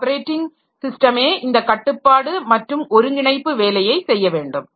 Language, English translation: Tamil, So, this operating system has to do this control and coordination job